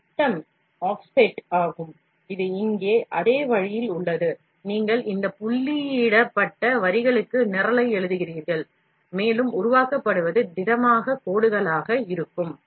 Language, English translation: Tamil, And this is the diameter off set, which is on same way here, you write the program to this dotted lines and what gets generated will be the solid lines